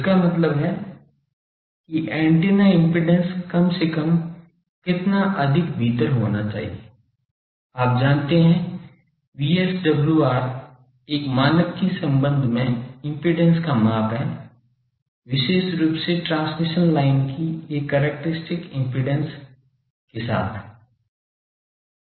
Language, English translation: Hindi, That means antennas impedance should be at least within let us say that how much more sometimes you know VSWR is a measure of impedance with respect to a standard particularly with a characteristic impedance of the transmission line